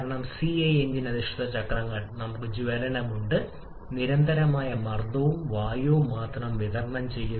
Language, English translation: Malayalam, Because in CI engine based cycles we have combustion at constant pressure and also supply only air